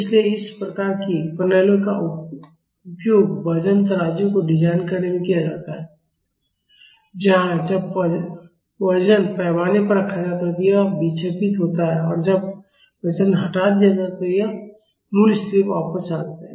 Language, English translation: Hindi, So, these types of systems are used in designing weighing scales, where when a weight is put on the scale it deflects and when the weight is removed it goes back to the original position